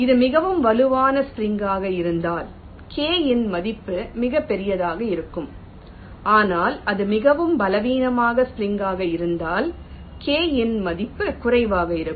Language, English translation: Tamil, if it is a very strong spring the value of k will be very large, but if it is very weak spring the value of k will be less